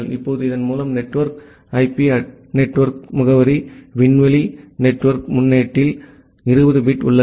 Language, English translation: Tamil, Now, with this, you have 20 bit at the network IP network address space network prefix